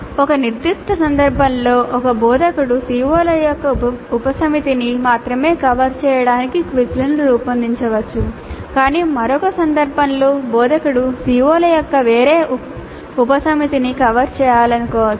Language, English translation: Telugu, In a specific instant an instructor may design quizzes to cover only a subset of the COs but in another instance the instructor will wish to cover a different subset of COs